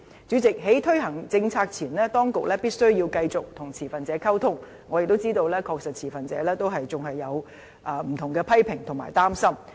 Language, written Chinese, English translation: Cantonese, 主席，在推行政策前，當局必須繼續與持份者溝通，我亦知道持份者確實仍有不同的批評和擔心。, President the authorities have to keep communicating with all stakeholders before taking forward any policy . I appreciate the fact that stakeholders still have different comments and concerns